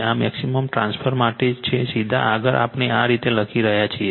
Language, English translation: Gujarati, This is this is for maximum transfer straight forward we are writing like this right